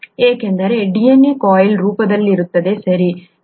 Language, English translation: Kannada, That is because the DNA is in a coiled form, okay